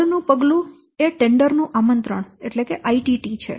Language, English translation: Gujarati, Next step is invitation to tender